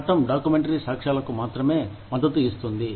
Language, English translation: Telugu, The law only supports, documentary evidence